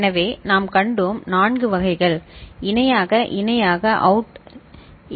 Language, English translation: Tamil, So, we had seen you know, 4 varieties, parallel in parallel out ok